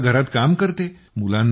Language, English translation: Marathi, I do kitchen work